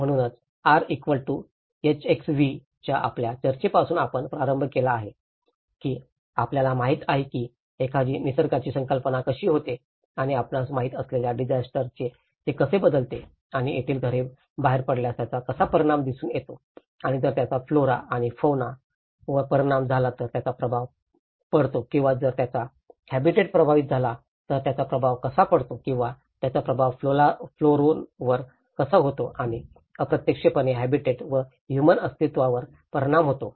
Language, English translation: Marathi, So, you started with your discussions of the R=HxV you know how a perception of a nature and how it turns into a disaster you know and how the impact is seen if the houses out there and if it affects the flora and fauna, does it make an impact or if it affects the habitat does it make an impact or if it affects the flora and indirectly affects the habitat and the human survival